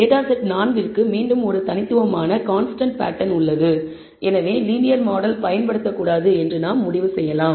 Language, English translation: Tamil, For data set 4 again there is a distinct constant pattern and therefore, we can conclude that linear model should not be used